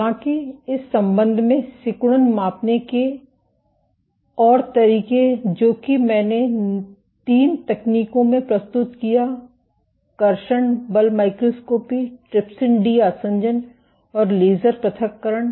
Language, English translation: Hindi, However, a more direct approach of measuring contractility in that regard I introduced three techniques: traction force microscopy, trypsin de adhesion and laser ablation